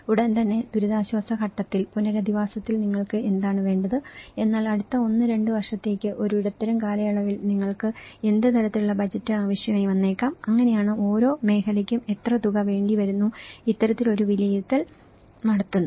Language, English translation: Malayalam, So, immediately in the relief stage, in rehabilitation what does you need but in a medium term for next 1, 2 years what kind of budget you might need, so that is where an each sector how much it take, this is the kind of assessment it makes